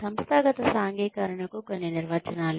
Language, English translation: Telugu, Some definitions of organizational socialization